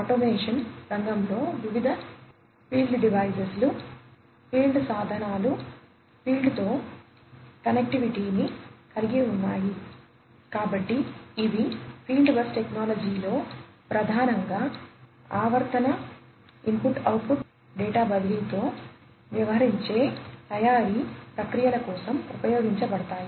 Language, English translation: Telugu, So, these are time in the field bus technology is primarily used for manufacturing processes dealing with periodic input output data transfer